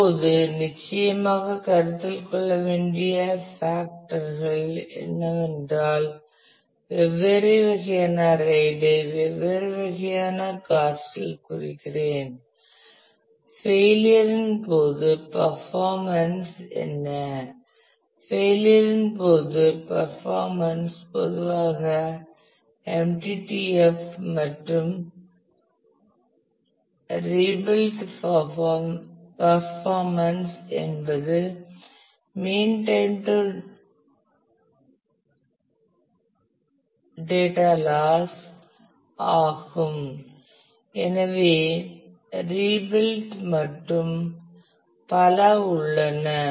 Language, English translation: Tamil, Now, and the factors that certainly has to be considered is I mean different RAID at different kind of cost the what is the performance what is the performance during failure; that is performance during failure is typically the MTTF and performance during rebuilt is a mean time to data loss so, including the rebuilding and so, on